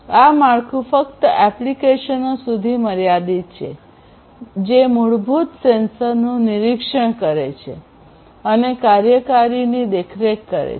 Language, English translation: Gujarati, The framework is limited to applications which monitor basic sensors and supervise the actuators